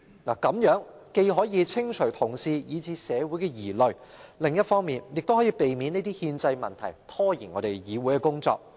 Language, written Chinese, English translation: Cantonese, 如此一來，既可釋除同事以至社會的疑慮，亦可避免這類憲制問題拖延議會運作。, In this way the doubts of Honourable colleagues and even the community can be allayed and any obstruction posed by this kind of constitutional issues to the functioning of the legislature can be pre - empted